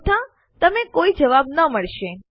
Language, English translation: Gujarati, Otherwise you wont get any response